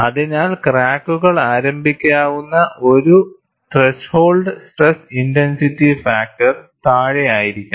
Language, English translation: Malayalam, So, as the crack length increases, the stress intensity factor decreases